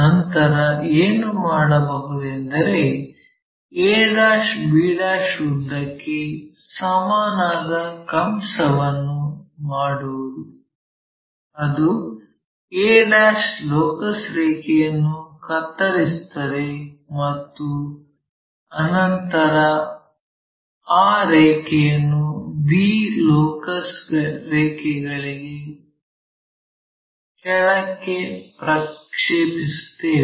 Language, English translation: Kannada, Then, what we can do is from this a ' to b ' make an arc which cuts this locus line and project that line all the way down to this locus line